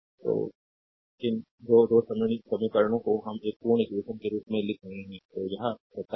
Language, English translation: Hindi, So, these 2 2 equations we are writing as a complete equation so, this is 27, right